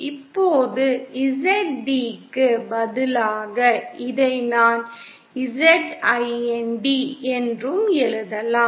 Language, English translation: Tamil, Now, in place of Zd I can also write this as Zind